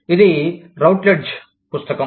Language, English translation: Telugu, It is a Routledge book